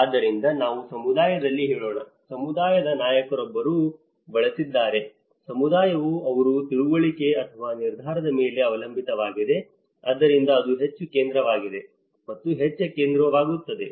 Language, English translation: Kannada, So, someone let us say in a community; a community leader has used that then, he is the one where the community is relying upon his understanding or his decision, so that is where that is more central that becomes more central